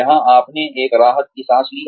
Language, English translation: Hindi, Where you took a breather